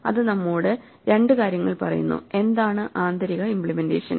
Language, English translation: Malayalam, It tells us two things it tells us; what is the internal implementation